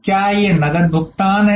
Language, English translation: Hindi, Is it cash payment